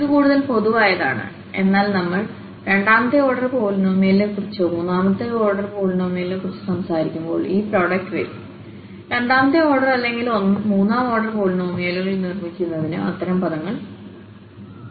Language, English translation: Malayalam, So, this is more general but when we are talking about the second order polynomial or third order polynomial then this product will come such terms will come in product to make the second order or the third order polynomials